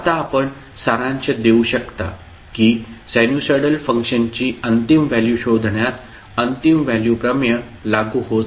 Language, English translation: Marathi, So you can summarize that the final value theorem does not apply in finding the final values of sinusoidal functions